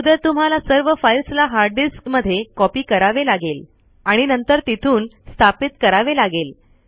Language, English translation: Marathi, First you have to copy the entire content to the hard disk and then install it from there